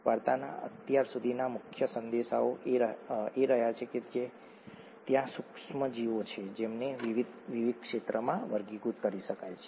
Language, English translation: Gujarati, If you, the main messages from the story so far has been that there is there are microorganisms and they they can be categorised into various different domains